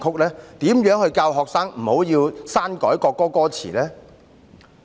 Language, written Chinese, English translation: Cantonese, 怎樣教導學生不要篡改國歌歌詞？, How can we teach the students not to alter the lyrics of the national anthem?